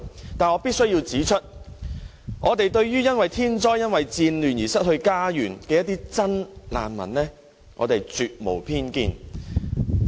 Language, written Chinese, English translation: Cantonese, 但是，我必須指出，對於因為天災或戰亂而失去家園的真難民，我們絕無偏見。, Nevertheless I must point out that we definitely have no bias against those genuine refugees having lost their homes due to natural disasters or wars